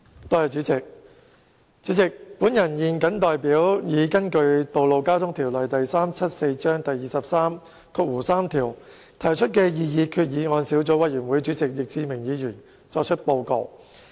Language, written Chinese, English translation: Cantonese, 代理主席，我現謹代根據《道路交通條例》第233條提出的擬議決議案小組委員會主席易志明議員作出報告。, Deputy President I will now report to this Council for Mr Frankie YICK Chairman of the Subcommittee on Proposed Resolution under Section 233 of the Road Traffic Ordinance Cap . 374